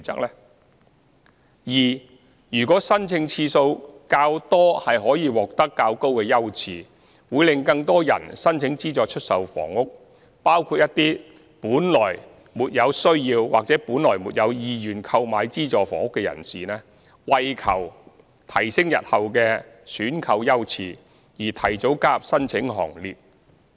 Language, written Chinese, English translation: Cantonese, b 如果申請次數較多可提高優次，會令更多人申請資助出售房屋，包括一些本來比較沒有需要或沒有意願購買資助房屋的人士，會為求提升日後的選購優次而提早加入申請行列。, b According a higher priority to those with more previous applications will attract more applicants for SSFs including those who are less in need or less interested in purchasing SSFs to submit their applications earlier in a bid to obtain a higher priority for purchase in the future